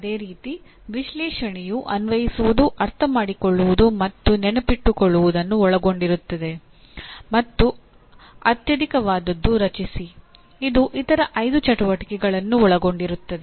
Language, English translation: Kannada, Similarly analyze will involve apply, understand and remember and the highest one is create can involve all the other 5 activities